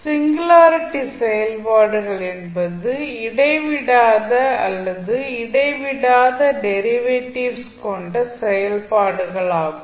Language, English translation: Tamil, Singularity functions are those functions that are either discontinuous or have discontinuous derivatives